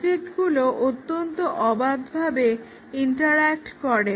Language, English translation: Bengali, The objects interact in a very arbitrary ways